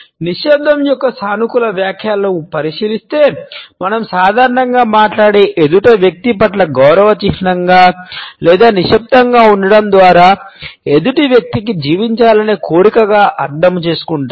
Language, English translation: Telugu, If we look at the positive interpretations of silence we normally interpret it as a sign of respect towards the other person who is speaking or a desire to live in option to the other person by remaining silent